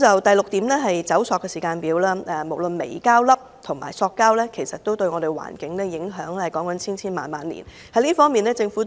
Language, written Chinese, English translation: Cantonese, 第六點是"走塑"時間表，無論微膠粒及塑膠都對環境造成千萬年的影響。, The sixth point is to have a plastic - free timetable . The impacts of both microplastics and plastics on the environment can last for hundreds of thousands of years